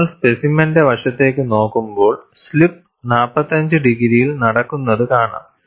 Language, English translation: Malayalam, I have to show, at the end of the specimen, you should have slip taking place at 45 degrees